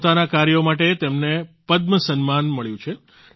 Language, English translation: Gujarati, He has received the Padma award for his work